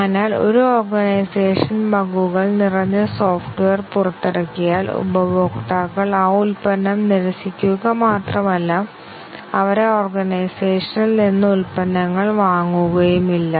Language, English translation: Malayalam, So, if an organization releases software full of bugs and not only the customers will reject that product, but also they will not buy products from that organization